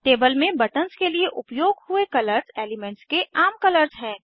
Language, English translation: Hindi, Colors used for buttons in the table are conventional colors of the elements